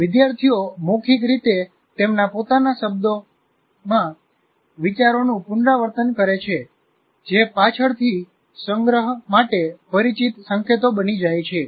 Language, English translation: Gujarati, Students orally restate ideas in their own words, which then become familiar cues to later storage